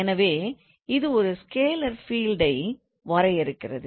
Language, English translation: Tamil, So, scalar field and vector field